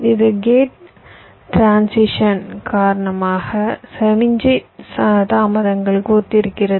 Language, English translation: Tamil, this correspond to the signal delays due to gate transitions